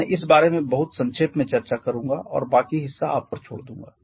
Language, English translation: Hindi, I shall be discussing this one only very briefly and leaving the rest part of rest part to you